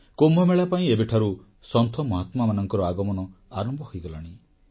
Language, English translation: Odia, The process of Sant Mahatmas converging at the Kumbh Mela has already started